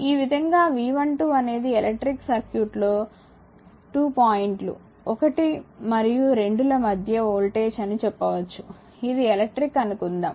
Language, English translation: Telugu, Thus the voltage say V 12 between 2 points, 1 and 2 in an electric circuit it is something like this suppose electric